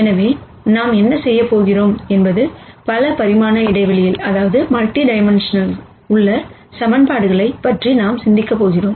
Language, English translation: Tamil, So, what we are going to do is we are going to think about the equations in multi dimensional space